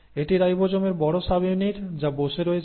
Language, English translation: Bengali, So this is the large subunit of the ribosome which is sitting